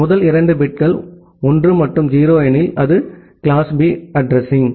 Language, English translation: Tamil, If the first two bits are 1 and 0, then it is class B address